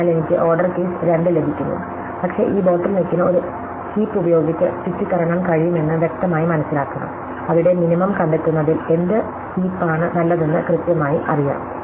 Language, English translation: Malayalam, So, I get order k square, but it should be fairly cleared into see that this bottle neck can be got around by using a heap, where there is precise what heaps are good at finding the minimum